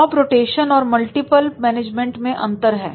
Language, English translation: Hindi, There is a difference between the job rotation and multiple management is there